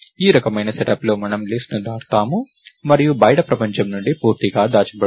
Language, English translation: Telugu, So, this kind of a set up where we traverse the list and so, on is completely hidden from the outside world, right